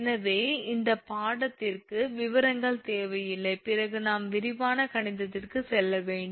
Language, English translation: Tamil, So, details are not required for this course, then we have to go for detailed mathematics